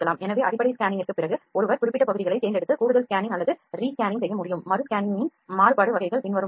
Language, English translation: Tamil, So, after the basic scanning one can select specific areas and perform additional scanning or Rescanning, the variable types of re scanning are as follows